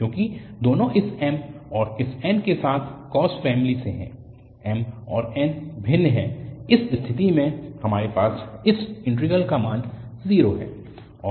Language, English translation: Hindi, Because both are from cos family with this m and this n, m and n are different, in that case, we have the value 0 of this integral